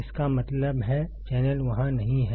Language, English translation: Hindi, That means, channel is not there